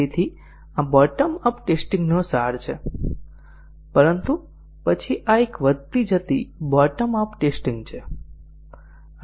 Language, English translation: Gujarati, So, this is the essence of bottom up testing, but then this is a incremental bottom up testing